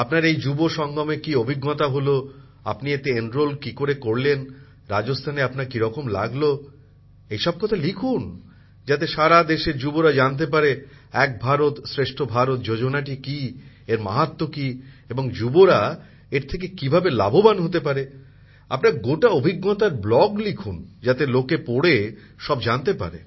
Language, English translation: Bengali, Then you should write a blogon your experiences in the Yuva Sangam, how you enrolled in it, how your experience in Rajasthan has been, so that the youth of the country know the signigficance and greatness of Ek Bharat Shreshtha Bharat, what this schemeis all about… how youths can take advantage of it, you should write a blog full of your experiences… then it will be useful for many people to read